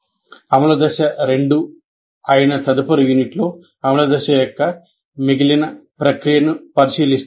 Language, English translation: Telugu, And in the next unit, which is implementation phase two, we look at the remaining processes of implementation phase